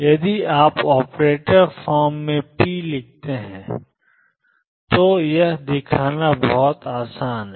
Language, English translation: Hindi, This is very easy to show if you write p in the operator form